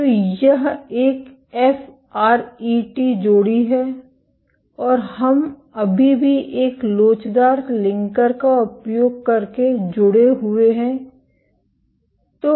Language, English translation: Hindi, So, this is a FRET pair and we still linked using an elastic linker